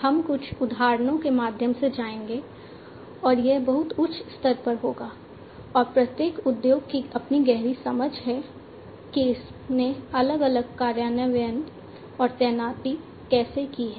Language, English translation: Hindi, We will go through some of the examples, and that will be at a very high level and each industry has its own in depth understanding about how it has done the different implementations and deployments and so on